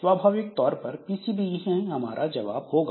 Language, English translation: Hindi, Naturally, PCB is the answer